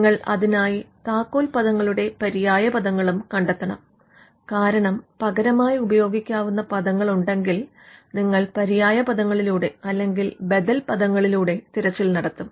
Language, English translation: Malayalam, You should also find out the synonyms for keywords, because if there are words which can have which can be alternatively used, then you would also search the synonyms, and then do a search of the alternative words as well